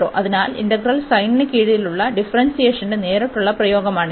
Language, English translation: Malayalam, So, it is a direct application of this differentiation under integral sin